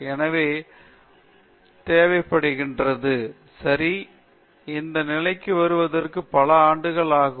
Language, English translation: Tamil, So, soaking is required; it takes many years to get to this position okay